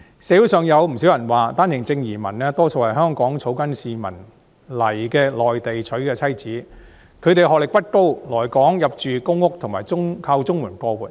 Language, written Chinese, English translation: Cantonese, 社會上有不少人說，單程證移民大多數是香港草根市民在內地娶的妻子，她們的學歷不高，來港入住公屋及靠綜合社會保障援助過活。, According to many people in society OWP entrants are mostly Mainland women married to grass - roots people in Hong Kong . They say that their education level is not very high and they occupy our public housing and live on Comprehensive Social Security Assistance CSSA after moving to Hong Kong